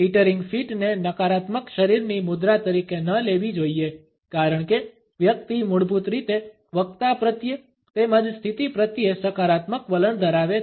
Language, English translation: Gujarati, The teetering feet should not be taken up as necessarily a negative body posture because the person basically has a positive attitude towards a speaker, as well as towards a position